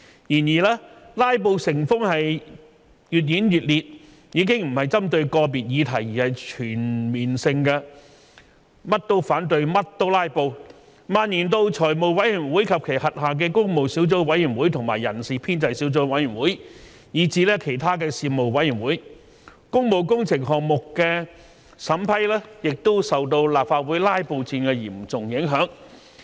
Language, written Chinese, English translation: Cantonese, 然而，"拉布"成風，越演越烈，已經不是針對個別議題，而是全面性的"甚麼都反對、甚麼都拉布"，蔓延到財務委員會及其轄下的工務小組委員會和人事編制小組委員會，以至其他事務委員會，工務工程項目的審批亦受到立法會"拉布戰"的嚴重影響。, However filibustering has already become a common practice and has been escalating targeting at not just individual subjects of discussion but at every subject and everything . Filibustering has also spread to the Finance Committee and its Public Works Subcommittee and Establishment Subcommittee and even to other Panels and the vetting processes of public works projects have also been seriously affected by the war of filibustering in the Legislative Council